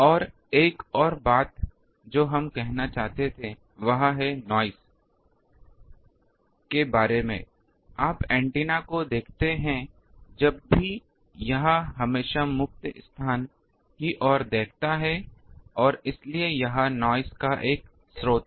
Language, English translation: Hindi, And another thing we wanted to say is about the noise that, you see antenna whenever it is, it is always looking towards the free space and so it is a source of noise